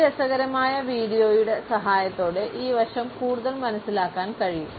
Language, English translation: Malayalam, This aspect can be further understood with the help of this interesting video